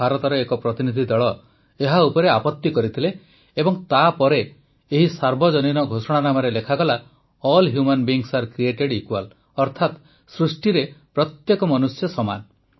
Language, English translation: Odia, But a Delegate from India objected to this and then it was written in the Universal Declaration "All Human Beings are Created Equal"